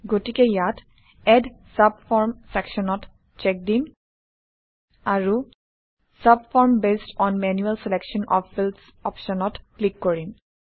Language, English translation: Assamese, So here, let us check the Add subform checkbox, And click on the option: Subform based on manual selection of fields